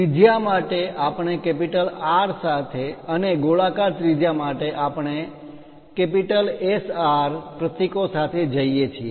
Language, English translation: Gujarati, For radius we go with R and for spherical radius we go with SR symbols